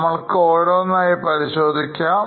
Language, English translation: Malayalam, Now let us see one by one